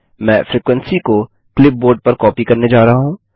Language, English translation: Hindi, I am going to copy the frequency on to the clipboard